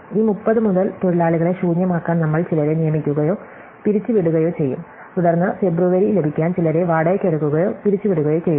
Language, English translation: Malayalam, Then, from this 30 we will either hire or fire some to get the workers in the empty, then if hire or fire some to get February and so on